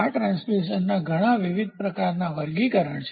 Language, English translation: Gujarati, So, these are so many different types of classification of transducer